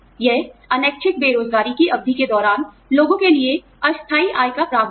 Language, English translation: Hindi, It is the provision of, temporary income for people, during periods of involuntary unemployment